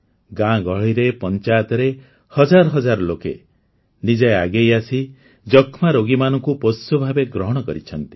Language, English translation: Odia, Thousands of people in villages & Panchayats have come forward themselves and adopted T